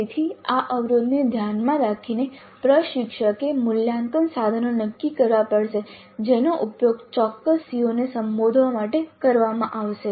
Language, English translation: Gujarati, So keeping this constraint in view the instructor has to decide the assessment instruments that would be used to address a particular CO